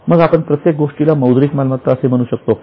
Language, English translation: Marathi, Then can you call everything as a monetary